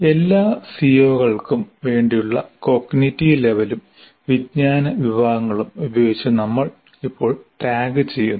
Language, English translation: Malayalam, So, so we are tagging now with both the cognitive levels as well as knowledge categories, all the CMOs